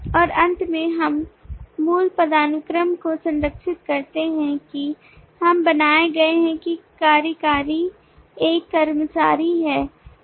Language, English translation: Hindi, and finally we preserve the original hierarchy that we are created that an executive is an employee